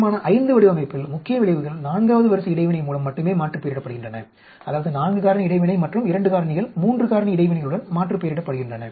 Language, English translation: Tamil, Resolution V design main effects are aliased with only 4th order interaction, that is 4 factor interaction and 2 factors are aliased with 3 factor interactions